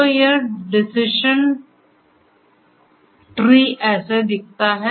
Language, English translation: Hindi, So, this is how the decision tree looks like